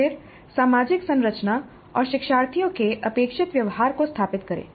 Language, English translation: Hindi, Then establish the social structure and the expected behavior of the learners